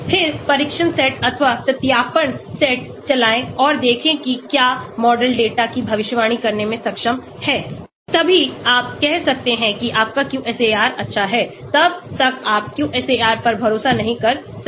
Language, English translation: Hindi, Then, run the test set or validation set and see whether the model is able to predict the data, then only you can say your QSAR is good until then you cannot trust the QSAR